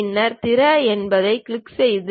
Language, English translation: Tamil, Then click Open